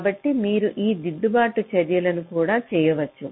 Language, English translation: Telugu, so some corrective actions need to be taken